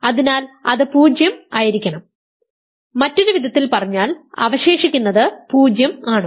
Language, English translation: Malayalam, So, it must be 0 in other words reminder is 0